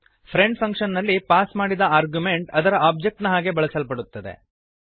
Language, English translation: Kannada, The argument passed in the friend function is used as its object